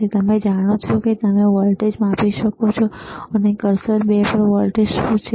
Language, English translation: Gujarati, nNow you know you can measure the voltage, what is the voltage oron cursor 2